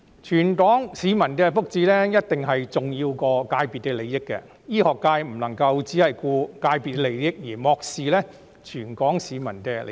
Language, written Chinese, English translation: Cantonese, 全港市民的福祉，一定比界別利益重要；醫學界不能夠只顧界別利益，而漠視全港市民的利益。, The well - being of the Hong Kong people is definitely more important than the interests of the sector . The medical sector cannot just care about its interests and disregard the well - being of our people